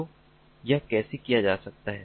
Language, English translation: Hindi, so how can it be done